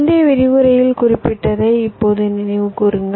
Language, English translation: Tamil, now recall what we mentioned during our last lecture